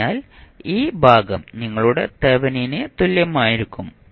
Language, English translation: Malayalam, So, this section would be your Thevenin equivalent